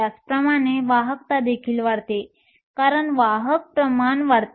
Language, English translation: Marathi, Similarly, the conductivity will also increase, because the carrier concentration increases